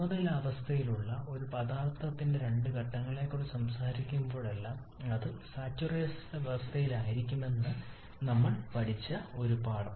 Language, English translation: Malayalam, And also one thing we have learned that whenever you are talking about two phases of a substance in equilibrium then that must be under saturation condition